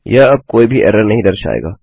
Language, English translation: Hindi, That wont show the error anymore